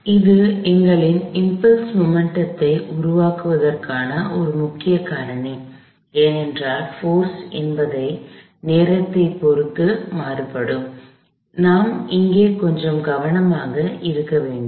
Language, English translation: Tamil, So, this is a prime candidate for our impulse momentum formulation, because the force is time varying, but I have to be a little careful here